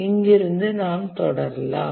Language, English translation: Tamil, Let's proceed from this point